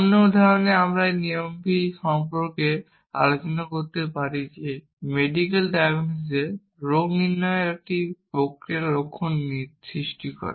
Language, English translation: Bengali, In other example, that we might have discusses this problem this process of diagnosis in medical diagnosis a disease causes symptoms